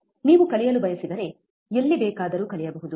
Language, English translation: Kannada, Learning can be done anywhere if you want to learn